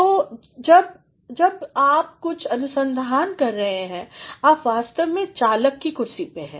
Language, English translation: Hindi, So, when you are doing some amount of research you are actually in the driver’s seat